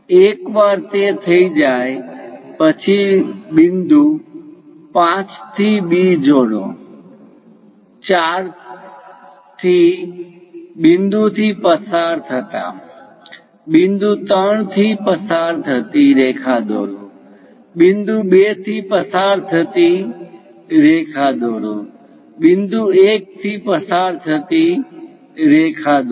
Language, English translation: Gujarati, Once it is done, parallel to this line, parallel to point 5 and B, passing through 4th point, draw lines passing through 3, passing to 2, passing to 1